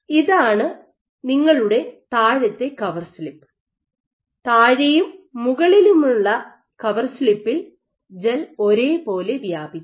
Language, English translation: Malayalam, So, this is your bottom cover slip and this is your top core slip and this is the gel that you found